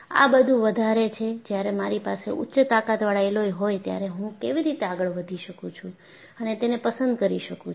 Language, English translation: Gujarati, But, this is more like, when I have a high strength alloy, how do I go about and pick out